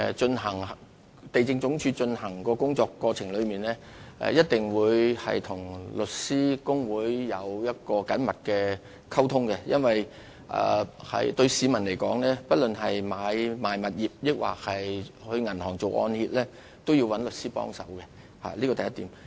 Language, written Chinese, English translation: Cantonese, 主席，地政總署在有關工作過程中，一定會與香港律師會保持緊密的溝通，因為對市民來說，不論是買賣物業或到銀行辦理按揭，都一定要找律師幫忙，這是第一點。, President the LandsD will definitely maintain close liaison with the Law Society of Hong Kong throughout the process because members of the public will certainly turn to the lawyers for help when purchasing properties or taking out mortgage loans from banks . This is the first point